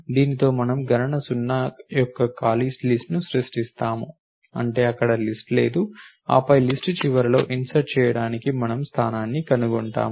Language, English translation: Telugu, With this we create an empty list of the count is zero that means, there is no list of there then we find the position to insert and insert it at the end of the list